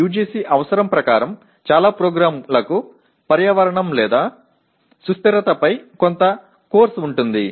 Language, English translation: Telugu, As per the UGC requirement most of the programs do have a course on, some course on environment or sustainability